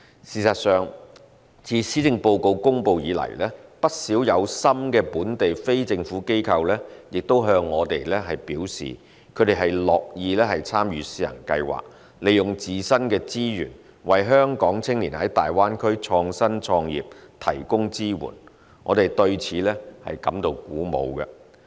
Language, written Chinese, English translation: Cantonese, 事實上，自施政報告公布以來，不少有心的本地非政府機構也向我們表示，他們樂意參與試行計劃，利用自身的資源為香港青年在大灣區創新創業提供支援，我們對此感到鼓舞。, In fact since the presentation of the Policy Address quite a number of enthusiastic local NGOs have indicated to us their willingness to join the pilot scheme offering support for Hong Kong youth innovation and entrepreneurship in the Greater Bay Area with their own resources . We are heartened by that